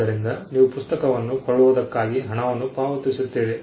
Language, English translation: Kannada, So, you pay money for the book